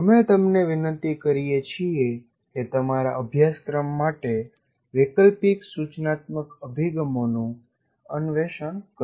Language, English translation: Gujarati, So we urge you to kind of explore alternative instructional approaches for your course